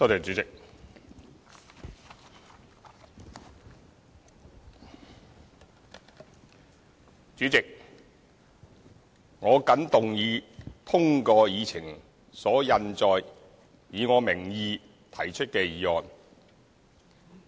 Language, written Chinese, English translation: Cantonese, 主席，我謹動議通過議程所印載，以我名義提出的議案。, President I move that the motion under my name as printed on the Agenda be passed . Currently in accordance with the Housing Bylaw Cap